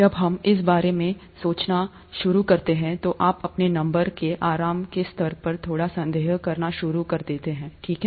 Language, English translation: Hindi, When you start thinking about this, you start slightly doubting the level of comfort you have with numbers, okay